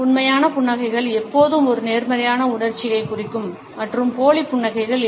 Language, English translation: Tamil, Genuine smiles always necessarily represent a positive emotion and fake smiles do not